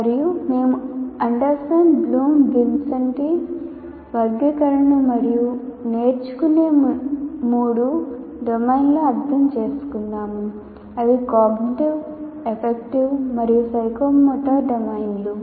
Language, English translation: Telugu, And we also understood the Anderson Bloom, Vincenti taxonomy and the three domains of learning, namely cognitive, affective and psychomotor domains of learning